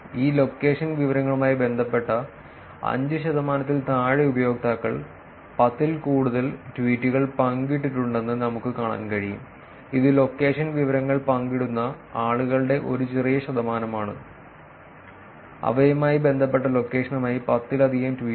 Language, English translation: Malayalam, We can see that less than 5 percent of the users have shared more than 10 tweets with this location information associated, which is again small percentage of people doing location information sharing, more than 10 tweets with the location associated with them